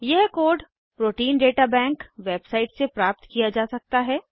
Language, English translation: Hindi, This code can be obtained from the Protein Data Bank website